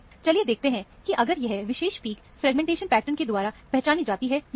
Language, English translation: Hindi, So, let us see, if these particular peaks, these peaks can be identified by this fragmentation pattern